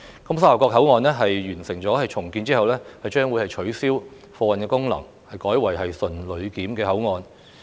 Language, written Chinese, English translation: Cantonese, 沙頭角口岸在完成重建後將會取消貨運功能，改為純旅檢口岸。, Upon completion of the redevelopment project the Sha Tau Kok Port will have the goods customs clearance function abolished and become a pure passenger port